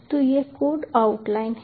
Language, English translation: Hindi, so this is the code out line